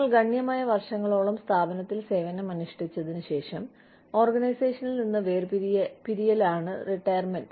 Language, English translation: Malayalam, Retirement is separation from the organization, after you have served the organization, for a significant number of years